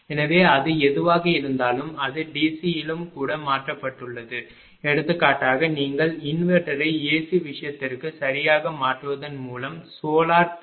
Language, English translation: Tamil, So, whatever it is it has been converted to even in DC also for example, solar PV that you are converting by using inverter through the AC thing right